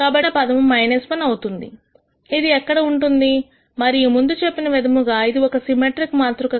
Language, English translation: Telugu, So, the only term remaining will be minus 1 which will be here and I already told you this is a symmetric matrix